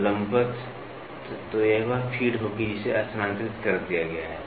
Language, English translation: Hindi, So, perpendicular, so this will be the feed which has been moved